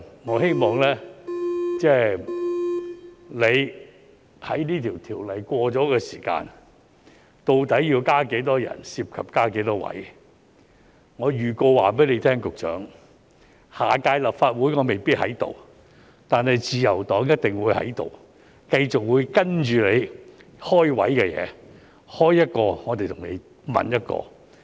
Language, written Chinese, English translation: Cantonese, 我希望你在這項條例制定後，究竟要加多少人，涉及增設多少職位......我向局長預告，下屆立法會我未必在這裏，但自由黨一定會在這裏，繼續跟進你開設職位的事宜，開一個，我們便問一個。, I hope that you as regards the number of additional staff members need to be employed and the number of posts to be created after the enactment of the Ordinance Let me tell the Secretary in advance while I may not be here in the Chamber in the next Legislative Council the Liberal Party will surely be here to continue to follow up with you issues on creation of posts . Whenever you apply for creating one post we will raise one question